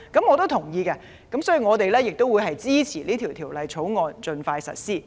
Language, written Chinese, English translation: Cantonese, 我同意這點，所以我支持《條例草案》盡快實施。, As I endorse this view I support the implementation of the Bill as soon as possible